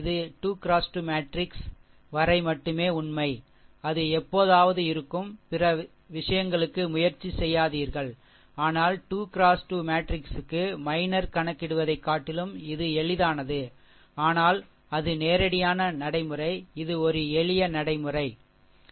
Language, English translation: Tamil, This is a true only for 3 into 3 into 3 matrix, do not try for other thing it will never be, but for 3 into 3 matrix, it is easy to compute rather than computing your minor another thing state forward we will get it, this is a simple simple procedure, right